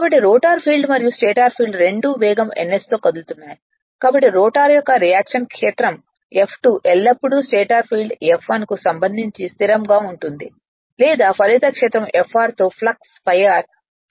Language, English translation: Telugu, So, that is same of the stator field that is rotor field and stator field both are moving at a same speed ns thus the reaction field F2 of the rotor is always stationery with respect to the stator field F1 or the resultant field Fr with respe[ct] with flux phi r per pole right